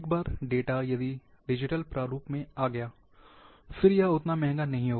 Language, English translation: Hindi, Once, the data is in digital form, and then it is not that expensive